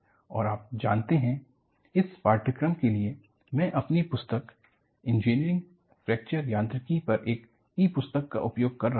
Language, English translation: Hindi, And, you know, for this course, I will be using my book on, e book on Engineering Fracture Mechanics